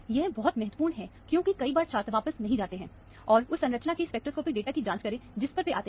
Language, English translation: Hindi, It is very important, because, often times, the students do not go back and check the spectroscopic data for the structure that they arrive at